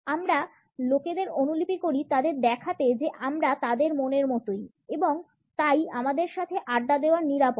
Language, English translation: Bengali, We mirror people to show them that we are like minded and therefore, safe to hang out with